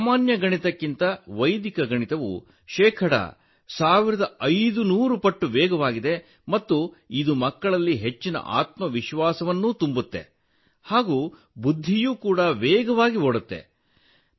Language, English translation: Kannada, Vedic maths is fifteen hundred percent faster than this simple maths and it gives a lot of confidence in the children and the mind also runs faster